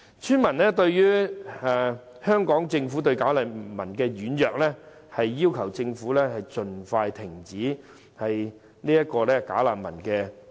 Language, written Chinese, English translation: Cantonese, 村民認為香港政府對"假難民"軟弱，要求政府盡快停收及送走這些"假難民"。, Villagers considered that the Government was too soft to deal with these bogus refugees . They required the Government to stop receiving these bogus refugees and repatriate them as soon as practicable